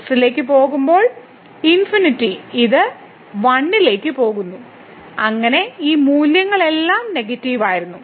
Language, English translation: Malayalam, So, when goes to infinity this is going to 1, but 1 over and so, all these values were negative